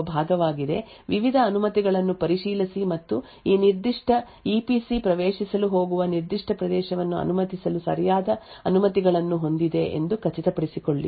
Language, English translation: Kannada, Now over here we is the part where we actually look into the EPCM check the various permissions and so on and ensure that this particular EPC where is going to be accessed has indeed the right permissions to permit that particular access